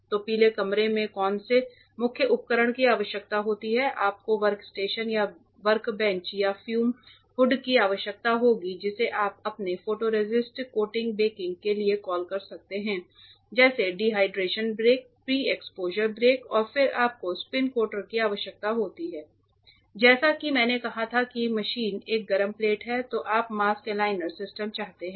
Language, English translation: Hindi, So, what are the main equipment that will be required in a yellow room you need a workstation or a workbench or a fume hood you can call for your photoresist coating baking like dehydration bake, pre exposure bake, etcetera and then you need a spin coater machine a hot plate as I told then you want the mask aligner system